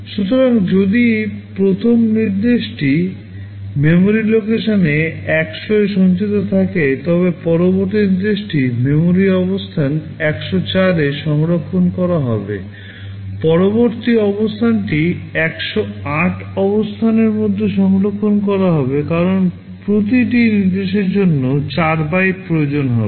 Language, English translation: Bengali, So, if the first instruction is stored in memory location 100 the next instruction will be stored in memory location 104, next location will be stored in location 108, because each instruction will be requiring 4 bytes